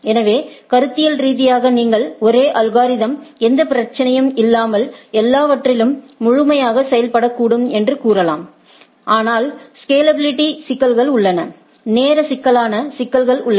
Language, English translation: Tamil, So, conceptually you may say that the same algorithm may work across the thing absolutely no problem, but there are issues of scalability, there are issues of time complexity etcetera